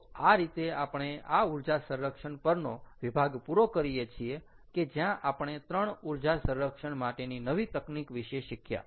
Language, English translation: Gujarati, all right, so that kind of wraps up ah this section on energy storage, where we learnt about three new techniques for ah energy storage